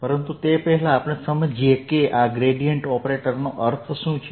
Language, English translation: Gujarati, but before that let us understand what this gradient operator means